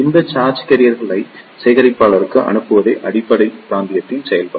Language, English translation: Tamil, The function of the base region is to pass these charge carriers into the collector